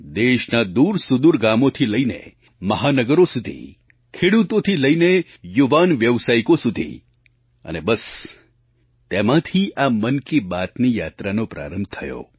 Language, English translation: Gujarati, From remote villages to Metro cities, from farmers to young professionals … the array just prompted me to embark upon this journey of 'Mann Ki Baat'